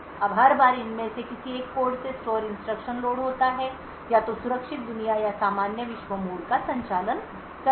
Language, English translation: Hindi, Now every time there is load of store instruction from one of these codes either the secure world or the normal world mode of operation